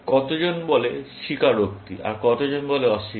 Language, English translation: Bengali, How many people say confess, and how many say, deny